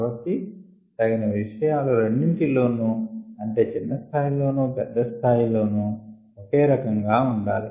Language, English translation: Telugu, so appropriate things need to be the same at two levels, at the small scale as well as at the large scale